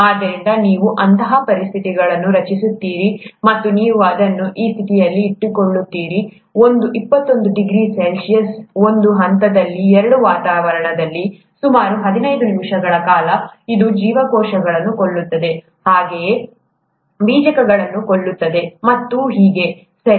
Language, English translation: Kannada, So you create such conditions and you keep it at that condition, one twenty one degrees C, at say one point two atmospheres, for about 15 minutes; it kills the cells, as well as kills the spores, and so on so forth, okay